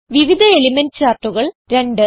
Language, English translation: Malayalam, Different Element charts